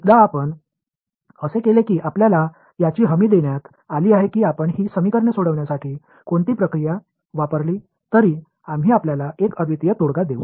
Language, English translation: Marathi, Once you do that you are guaranteed that whatever procedure you use for solving these equations, we will give you a unique solution